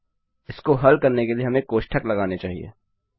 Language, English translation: Hindi, The same with multiply Now, to solve this, we should put brackets